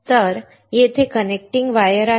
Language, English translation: Marathi, So, here there are connecting wires